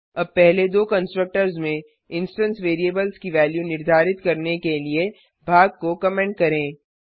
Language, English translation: Hindi, Now comment the part to assign the instance variables to their values in the first two constructors